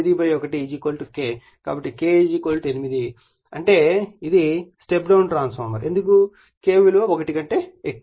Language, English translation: Telugu, So, K = 8; that means, it is a step down transformer because K greater than right